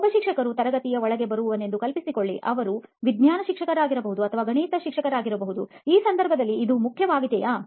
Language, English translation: Kannada, Imagine a teacher who comes inside the classroom, he might be a science teacher or a maths teacher, say will that matter in this case